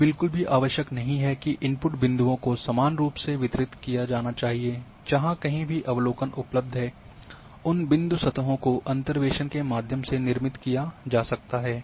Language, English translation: Hindi, It is not necessary that the input points should be distributed uniformly; not at all wherever the observations are available using those point surfaces through interpolations can be created